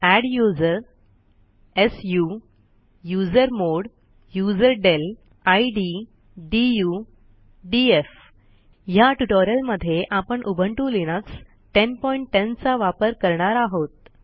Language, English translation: Marathi, adduser su usermod userdel id du df I am using Ubuntu 10.10 for this tutorial